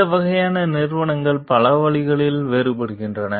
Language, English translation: Tamil, These types of companies differ in several ways